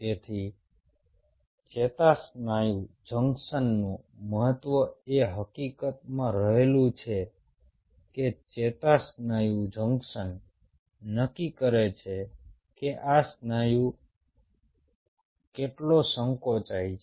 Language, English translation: Gujarati, so the significance of neuromuscular junction lies in the fact that neuromuscular junction decides how much this muscle will contract